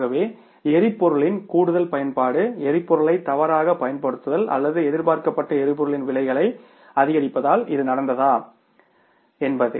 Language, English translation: Tamil, So, whether it has happened because of some extra use of the fuel, misuse of the fuel or the prices of the fuels going up which was not expected